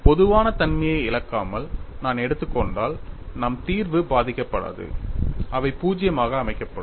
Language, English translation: Tamil, And our solution will not be affected if I take without losing generality, these be set to zero